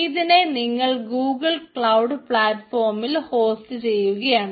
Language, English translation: Malayalam, so you want to host it on google cloud platform